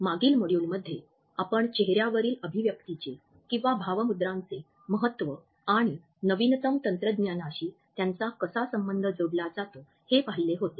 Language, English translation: Marathi, In the previous module, we had seen the significance of facial expressions and how they are being linked with the latest technological developments